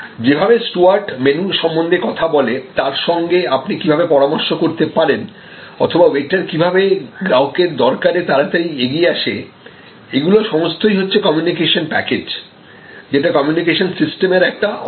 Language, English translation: Bengali, The way your steward talk about the menu, the consultation that you can have with steward or the way the waiter response to customer in a hurry, all of these are communication packages, a part of the whole communication system